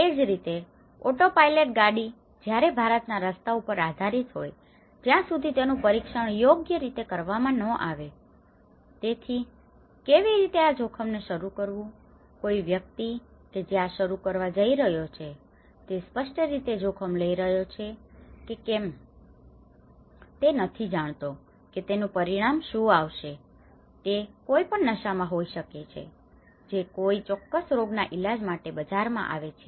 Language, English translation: Gujarati, Smilarly, an autopilot car when subjected in an Indian roads unless if it is not properly tested so, how to take this risk to start with, the person who is starting in the beginning is obviously taking a huge risk because he do not know what is the consequences of it, it could be a drunk which is coming into the market to solve to cure a particular disease